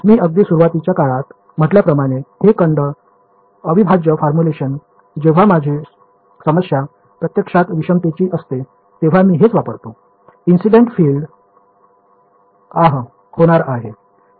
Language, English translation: Marathi, So, these volume integral formulations as I said in the very beginning, when my problem is actually heterogeneous this is what I will use; the incident field is going to be ah